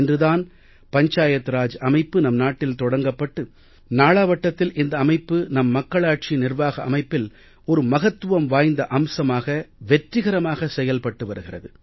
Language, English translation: Tamil, Panchayati Raj system has gradually spread to the entire country and is functioning successfully as an important unit of our democratic system of governance